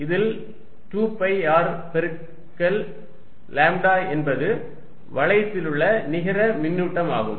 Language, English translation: Tamil, You can actually see that 2 pi, R is the length times lambda, it is going to the net charge on the ring